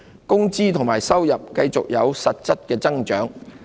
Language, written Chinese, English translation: Cantonese, 工資及收入繼續有實質增長。, Wages and earnings continued to record real gains